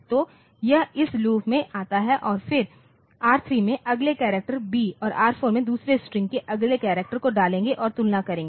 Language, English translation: Hindi, So, it comes to this loop and it will again B moving the next character into R3 and next character of second string on to R4 compare them